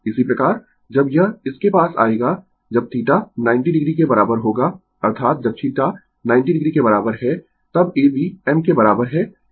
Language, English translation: Hindi, Similarly, when it will come to this when theta is equal to 90 degree that is when theta is equal to 90 degree, then your A B is equal to I m